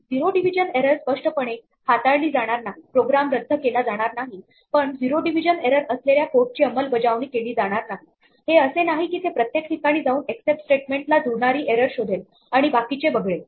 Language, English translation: Marathi, The zero division error will not be explicitly handled, the program will not abort, but there will be no code executed for the zero division error; it is not that it tries each one of these in turn it will try whichever except matches the error and it will skip the rest